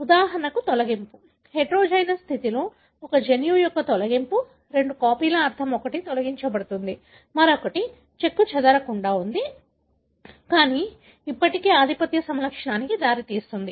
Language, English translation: Telugu, For example, a deletion; a deletion of a gene in heterozygous condition, meaning of the two copies one is deleted, other one is intact, but can still result in dominant phenotype